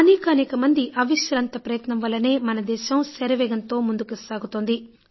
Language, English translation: Telugu, Due to tireless efforts of many people the nation is making rapid progress